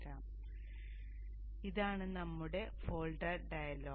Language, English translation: Malayalam, So this is our folder dialog